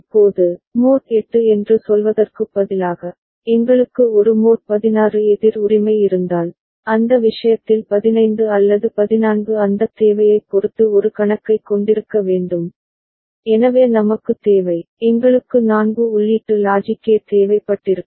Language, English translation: Tamil, Now, instead of say mod 8, if we had a mod 16 counter right, so to have a count of say in that case if 15 or 14 depending on that requirement, so we need, we would have required a four input logic gate